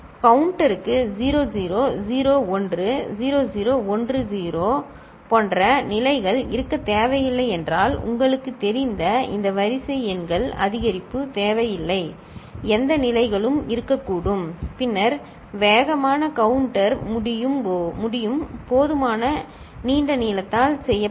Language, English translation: Tamil, If the counter does not require states to be like 0 0 0 1, 0 0 1 0 that kind of you know, these sequential numbers you know, increment is not required any kind of states can be there and then, a fast counter can be made of sufficiently long length